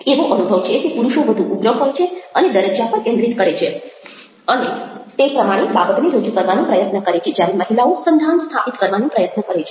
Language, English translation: Gujarati, there is a feeling that men tend to be more aggressive and focus on status, try to present that kind of a thing, whereas and try to dominate essentially, whereas women attempt to create connections